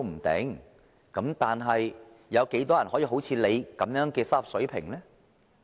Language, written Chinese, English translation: Cantonese, 但是，有多少人好像你們有這種收入水平呢？, But how many people can have an income level like yours?